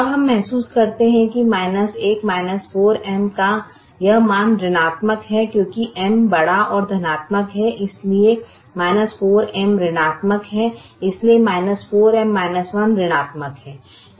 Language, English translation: Hindi, now we realize that this value of minus one minus four m is negative because m is large and positive